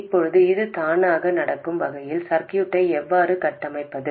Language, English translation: Tamil, Now, how do we configure the circuit so that this automatically happens